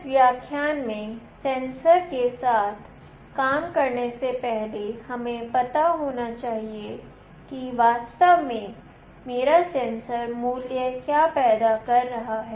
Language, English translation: Hindi, In this lecture prior going towards working with sensors, we must know that what my sensor value is actually generating